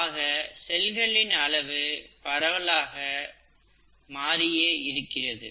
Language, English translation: Tamil, So it widely varies, the cell size widely varies